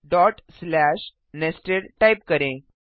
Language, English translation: Hindi, Press Enter type dot slash nested